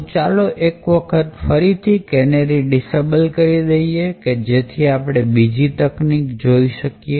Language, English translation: Gujarati, So, let us add the disable canaries again just to get things back and look at the next aspect